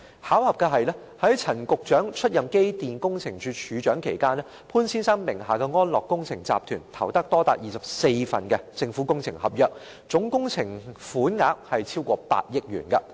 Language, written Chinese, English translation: Cantonese, 巧合的是，在陳局長出任機電工程署署長期間，潘先生名下的安樂工程集團投得多達24份政府工程合約，總工程款額超過8億元。, Coincidentally during the period when Secretary Frank CHAN served as the Director of Electrical and Mechanical Services ATAL Engineering Group under Mr POONs name won as many as 24 government contracts and the total project costs involved exceeded 800 million